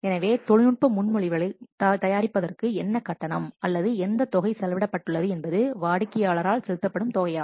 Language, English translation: Tamil, But so what charge or what amount has been spent in preparing the technical proposal, that amount may be paid by what the customer